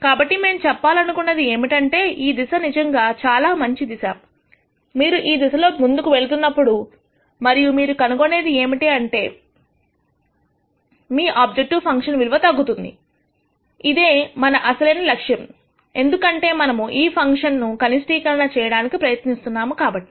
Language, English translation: Telugu, So, the point that we are trying to make is this direction is actually a good direction and then you move in the direction and you find that your objective function value decreases which is what which was our original intent because we are trying to minimize this function